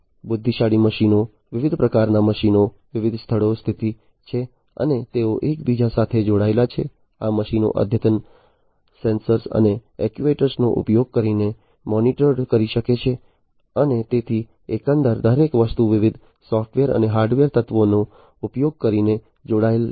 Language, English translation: Gujarati, Intelligent machines, different kinds of machines, are located at different locations and they are interconnected, these machines can be monitored using advanced sensors and actuators and so, overall everything is connected using different software and hardware elements